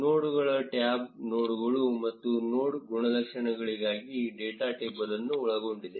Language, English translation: Kannada, The nodes tab contains the data table for nodes and node attributes